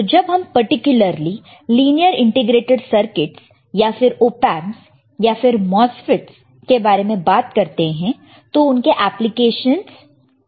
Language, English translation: Hindi, So, particularly when you are talking about linear integrated circuits or op amps or MOSFET's and their applications what are the applications